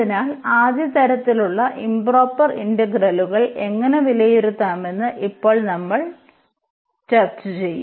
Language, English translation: Malayalam, So, now we will do how to evaluate improper integrals of say first kind